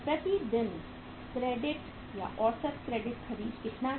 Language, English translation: Hindi, How much is average credit purchased per day